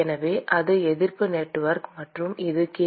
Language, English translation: Tamil, So, that is the resistance network; and this is q